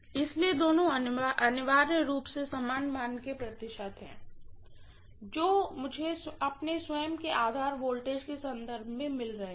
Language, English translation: Hindi, So both of them are essentially the same amount of percentage that I am getting with reference to its own base voltage